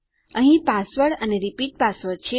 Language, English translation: Gujarati, Here is the password and repeat password